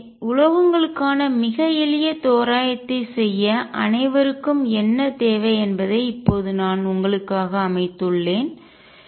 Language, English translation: Tamil, So, by now I have set up pretty much for you what all be require to do a very simple approximation for metals